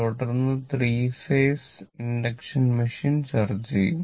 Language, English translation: Malayalam, Then, 3 phase induction machine